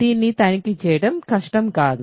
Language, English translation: Telugu, So, this is not difficult to check